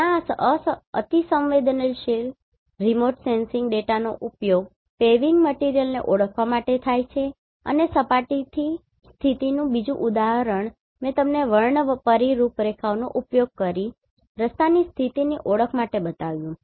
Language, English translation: Gujarati, Where this hyperspectral remote sensing data is used to identify the paving material and surface condition another example I showed you for the identification of road condition using the spectral profiles